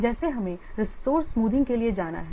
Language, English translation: Hindi, So, we have to go for resource smoothing